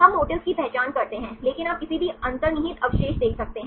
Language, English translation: Hindi, We identify motifs, but you can see any inherent residues